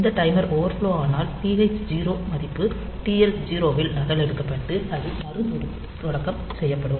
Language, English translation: Tamil, So, when this timer overflows then again, this TH 0 value will be copied into TL 0 and it will restart